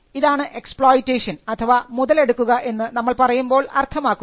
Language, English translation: Malayalam, So, this is what we mean by exploitation